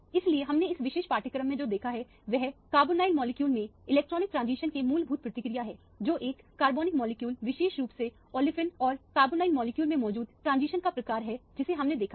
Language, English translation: Hindi, So, what we have seen in this particular module is the fundamental nature of the electronic transition in an organic molecule, the type of transitions that has present in an organic molecule, particularly olefins and carbonyl compounds is what we have seen